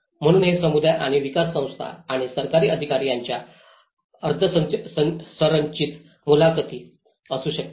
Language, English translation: Marathi, So it could be semi structured interviews with the communities and development agencies and the government authorities